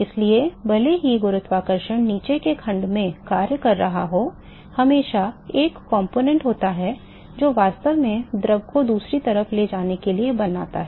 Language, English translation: Hindi, So, even though gravity is acting in section below there always be a component, which is actually make the fluid to move on the other side